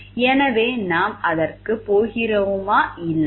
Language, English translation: Tamil, So, whether we will be going for it or not